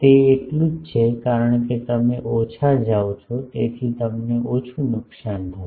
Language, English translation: Gujarati, That is so, since you are going less you will suffer less